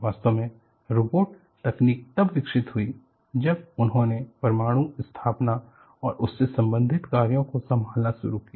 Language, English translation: Hindi, In fact, robotic technology got developed, purely when they have to handle things related to nuclear installation, to start with